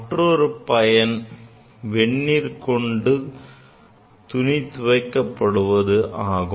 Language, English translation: Tamil, Another is the warm water, is used for washing